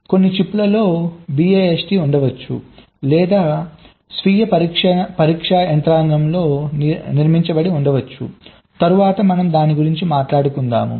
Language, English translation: Telugu, some of the chips may be having a best or a built in self test mechanism that we will talk about later inside